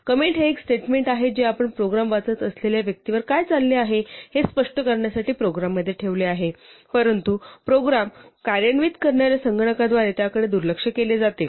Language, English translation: Marathi, So a comment is a statement that you put into a program to explain what is going on to a person reading the program, but it is ignored by the computer executing the program